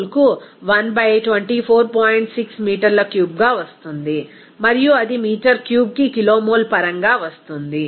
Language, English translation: Telugu, 6 meter cube per kilomole and it will be coming as in terms of kilomole per meter cube